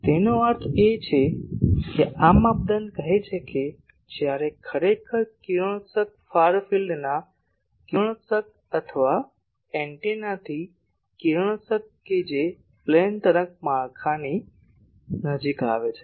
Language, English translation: Gujarati, So that means, this criteria says that when really the radiation far field radiation or radiation from the antenna that is approaching the plane wave structure